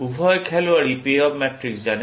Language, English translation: Bengali, Both players know the payoff matrix